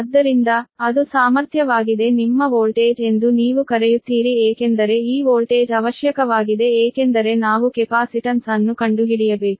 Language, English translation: Kannada, so that is the, that is your potential, or what you call that, your voltage, because this voltage is necessary because we have to find out the capacitance, right